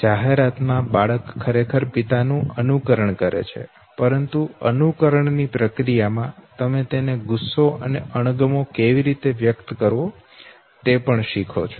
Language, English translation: Gujarati, The child in the ad actually imitated the father okay, but in the process of imitation you also learn how to express his anger and disgust